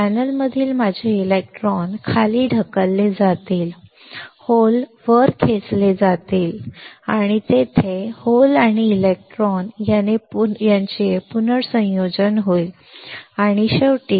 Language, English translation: Marathi, My electrons from the channel will be pushed down, the holes will be pulled up and there will be recombination of holes and electrons and ultimately